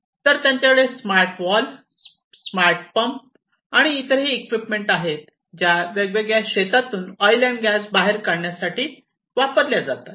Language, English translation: Marathi, So, they also have smarter valves, smarter smart pumps and so on, which are used to pump out oil from the different fields, in which these different machinery are deployed